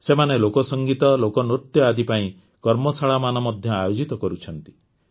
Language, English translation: Odia, These people also organize workshops related to folk music and folk dance